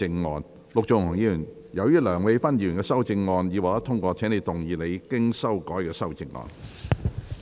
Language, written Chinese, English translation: Cantonese, 陸頌雄議員，由於梁美芬議員的修正案已獲得通過，請動議你經修改的修正案。, Mr LUK Chung - hung as Dr Priscilla LEUNGs amendment has been passed you may move your revised amendment